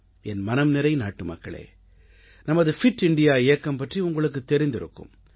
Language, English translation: Tamil, My dear countrymen, by now you must be familiar with the Fit India Movement